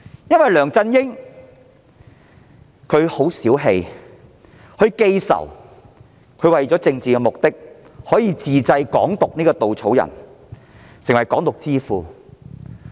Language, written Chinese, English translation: Cantonese, 由於梁振英氣量小、記仇，他為了政治目的自製"港獨"這個稻草人，成為"港獨之父"。, The narrow - minded LEUNG Chun - ying is a grudge - holder . In order to achieve his political aim he has invented the scarecrow of Hong Kong independence and has therefore become the father of Hong Kong independence